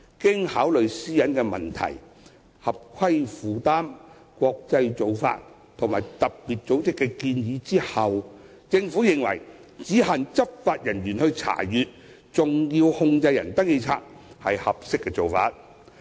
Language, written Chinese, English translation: Cantonese, 經考慮私隱的問題、合規負擔、國際做法和特別組織的建議後，政府認為只限執法人員查閱登記冊是合適的做法。, Having regard to privacy concern compliance burden international practices and FATF recommendations the Government considers it appropriate to restrict access to SCRs by law enforcement officers only